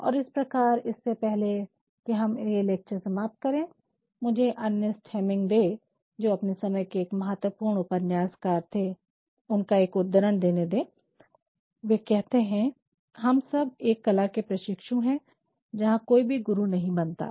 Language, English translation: Hindi, And, hence before we come to the close of this lecture, let meprovide a quote by Ernest Hemingway a very important novelist of his time, who says we are all apprentices in a craft